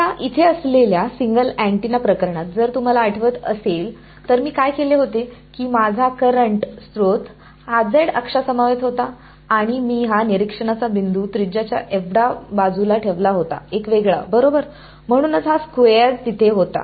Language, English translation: Marathi, Now, in the single antenna case over here, if you remember what I done was that my current source was along the z axis and I has taken the observation point to be this radius apart; a apart right, that is why this a squared was there